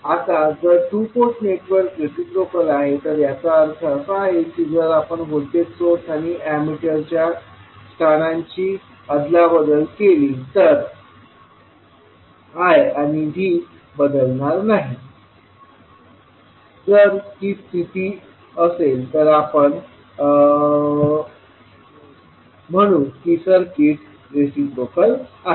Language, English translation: Marathi, Now, if you see that this particular two port network is reciprocal, it means that if you exchange the locations of voltage source and the emitter, the quantities that is I and V are not going to change so if this condition holds we will say that the circuit is reciprocal